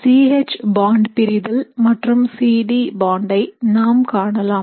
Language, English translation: Tamil, So let us say we are looking at C H bond breaking versus the C D bond